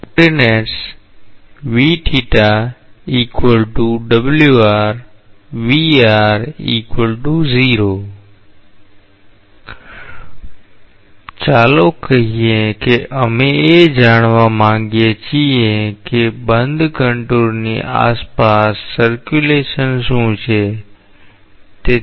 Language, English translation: Gujarati, Let us say that we want to find out what is the circulation around the closed contour